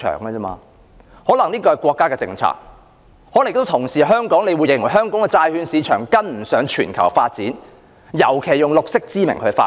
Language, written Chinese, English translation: Cantonese, 這可能是國家的政策，可能亦有同事認為香港的債券市場跟不上全球發展，尤其是以綠色之名來發展。, This may be a national policy . Some Honourable colleagues may also think that Hong Kongs bond market cannot keep up with the global development especially development in the name of going green